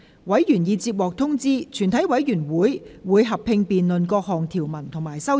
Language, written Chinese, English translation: Cantonese, 委員已獲通知，全體委員會會合併辯論各項條文及修正案。, Members have been informed that the committee will conduct a joint debate on the clauses and amendments